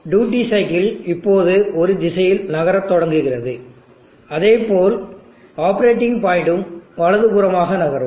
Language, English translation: Tamil, The duty cycle now starts moving in a direction such that operating point moves to the right